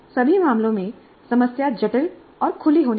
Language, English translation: Hindi, In all cases, the problem must be complex and open ended